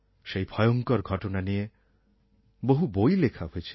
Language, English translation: Bengali, Many books have been written on that dark period